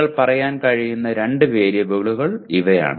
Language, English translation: Malayalam, These are the two variables you can say